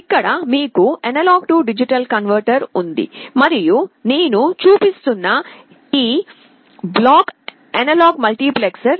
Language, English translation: Telugu, Here you have an A/D converter and this block that I am showing is an analog multiplexer